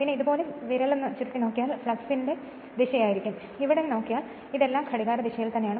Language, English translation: Malayalam, And if you curl the finger like this will be the direction of the flux that is why flux direction if you see here all this things are clockwise all this things are clockwise